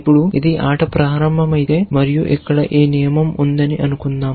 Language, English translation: Telugu, Now, if you a just starting the game and let us assume that this rule here